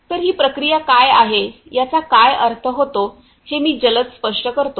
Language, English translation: Marathi, So, I quickly explain, what I mean what is the process about